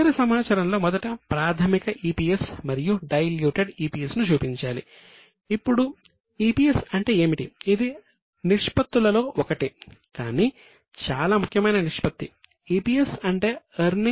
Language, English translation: Telugu, In the other information first they have to show basic EPS and diluted EPS